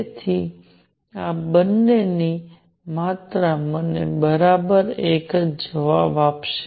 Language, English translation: Gujarati, So, both both these quantities will give me exactly the same answer